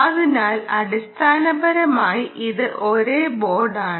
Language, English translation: Malayalam, so essentially it is a same board